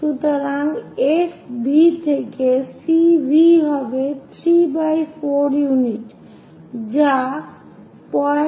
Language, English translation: Bengali, So, that F V to C V will be 3 by 4 units which is 0